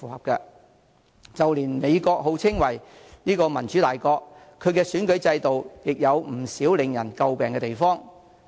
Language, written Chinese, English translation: Cantonese, 即使美國號稱為民主大國，其選舉制度亦有不少為人詬病的地方。, Even if we look at the case of the United States of America which is a leading democratic country the electoral system there is widely criticized